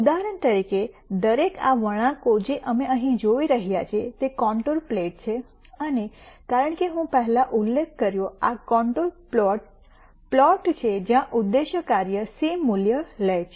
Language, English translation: Gujarati, For example, each of these curves that we see here are contour plots and as I mentioned before these contour plots are plots where the objective function takes the same value